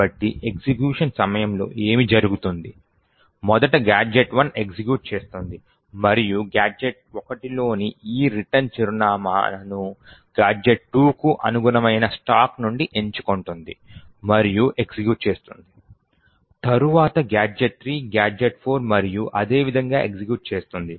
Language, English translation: Telugu, So, what happens during executions, is first gadget 1 executes and the return in gadget 1 would pick this address from the stack which corresponds to gadget 2 and execute, then gadget 3, gadget 4 and so on executes in such a way